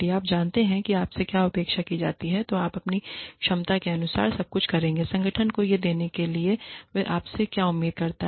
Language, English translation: Hindi, If you know, what is expected of you, you will do everything in your capacity, to give the organization, what it expects of you